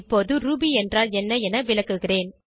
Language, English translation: Tamil, Now I will explain what is Ruby